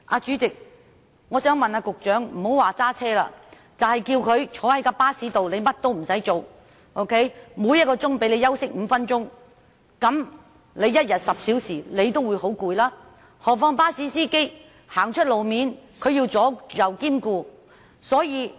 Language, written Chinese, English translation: Cantonese, 主席，我想問局長，不要說駕駛，即使只是叫他坐在巴士內，甚麼也不做，每小時讓他休息5分鐘，每天10小時坐在巴士內，他也會感到很疲累，何況巴士司機在路面駕駛時更要兼顧周遭的情況。, President I have this question for the Secretary . Let us not talk about driving a bus and even if he is told to sit in a bus doing nothing with a rest break of five minutes for every hour he would feel exhausted after sitting there for 10 hours a day let alone bus captains who have to stay alert to the situation around him while driving on roads